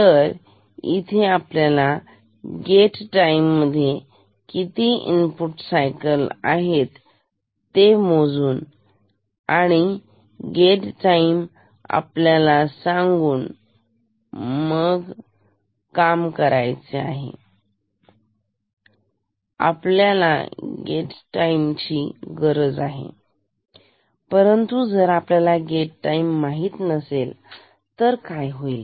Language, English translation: Marathi, So, we measure the number of input cycles within one gate time and this gate time is known to us right which need to know this gate time